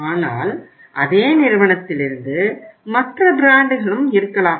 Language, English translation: Tamil, But it can be from the same company there can be other brand also